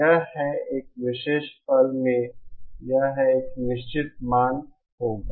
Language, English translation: Hindi, It has, at a particular instant it will have a definite value